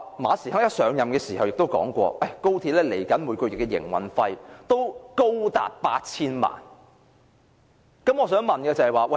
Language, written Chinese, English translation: Cantonese, 馬時亨甫上任時說過，高鐵每月的營運費高達 8,000 萬元。, Upon assumption of office Frederick MA said that XRLs monthly operating costs would amount to 80 million